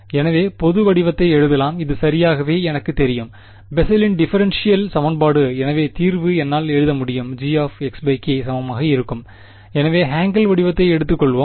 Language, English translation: Tamil, So, the general form can be written I know this is exactly the Bessel’s differential equation, so the solution is I can write down G of x by k is going to be equal to